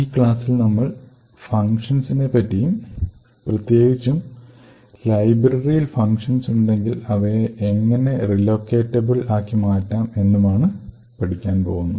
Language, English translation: Malayalam, In this particular lecture we will look at functions, essentially if we have functions present in the library how do we make these functions relocatable